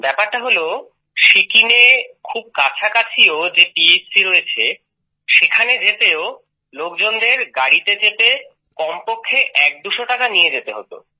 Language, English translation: Bengali, It was a great experience Prime Minister ji…The fact is the nearest PHC in Sikkim… To go there also people have to board a vehicle and carry at least one or two hundred rupees